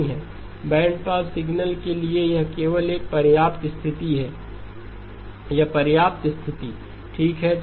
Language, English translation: Hindi, For bandpass signals, it is only a sufficient condition; it is a sufficient condition okay